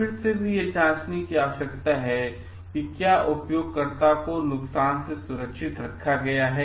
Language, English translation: Hindi, Again also we need to cross check like whether users are protected from the harm